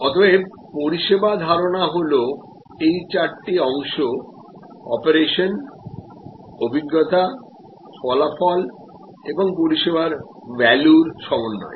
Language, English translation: Bengali, service concept will therefore, empress all these four parts operation experience outcome on the value provided